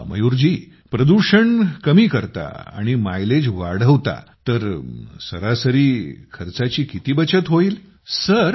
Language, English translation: Marathi, Ok, so if we reduce pollution and increase mileage, how much is the average money that can be saved